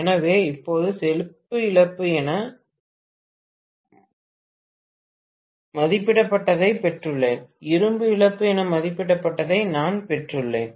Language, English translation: Tamil, So now I have got what is rated copper loss, I have got what is rated iron loss, right